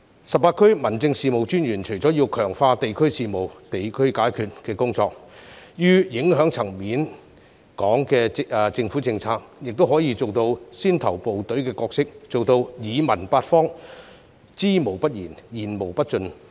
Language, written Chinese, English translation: Cantonese, 十八區民政事務專員除要強化"地區事務，地區解決"的工作外，於影響層面較廣的政府政策上，亦可以做好先頭部隊的角色，做到"耳聽八方、知無不言，言無不盡"。, Apart from enhancing the work of addressing district affairs at the district level the 18 District Officers can also properly play a spearhead role in government policies with wide - ranging effects by keeping their ears open and not concealing anything but telling all that they know